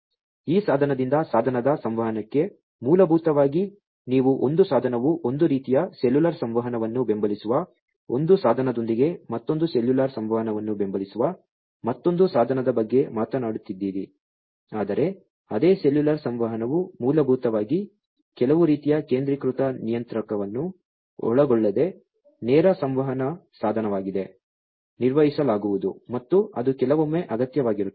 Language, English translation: Kannada, Plus this device to device communication so, basically, you know, you are talking about one device supporting one type of cellular communication with another device supporting another cellular communication not another, but the same cellular communication basically device to device direct communication without involving some kind of a centralized controller is going to be performed and that is sometimes required